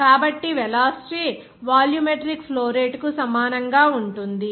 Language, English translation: Telugu, So, it will be called us volumetric flow rate